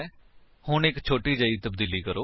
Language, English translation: Punjabi, Now, let us make a small change